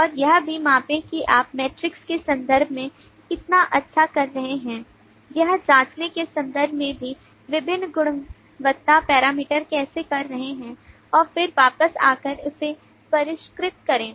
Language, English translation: Hindi, and also measure as to how well you are doing in terms of the metrics in terms of checking out how the different quality parameters are doing and then come back and refine that